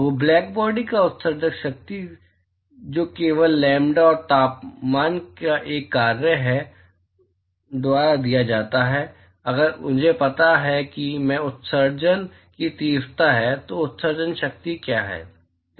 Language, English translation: Hindi, So, the emissive power of Black body, which is only a function of lambda, and temperature, is given by, if I know that, I is the intensity of emission, what is the emissive power